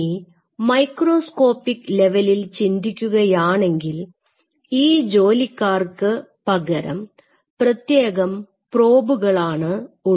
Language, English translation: Malayalam, Now at the microscopic level these sentries will be replaced by specific probes